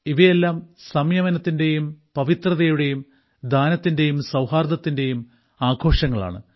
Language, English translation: Malayalam, All these festivals are festivals of restraint, purity, charity and harmony